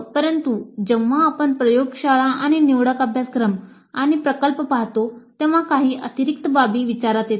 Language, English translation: Marathi, But when we look at laboratories and elective courses and project, certain additional considerations do come into picture